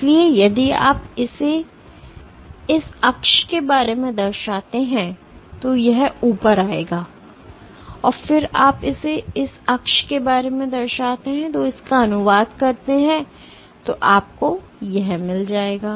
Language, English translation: Hindi, So, if you reflect it about this axis, it will come up and then you reflect it about that axis and translate it then you will get this